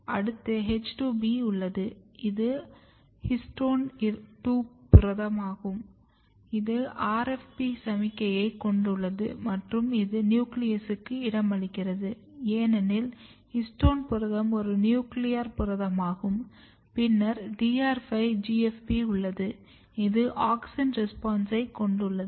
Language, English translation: Tamil, Then you have H2B which is histone 2 protein, histone 2 protein basically it has RFP signal and it will localize to the nucleus because histone protein is nuclear protein, and then you have DR5 GFP which has basically auxin response and if you look very carefully here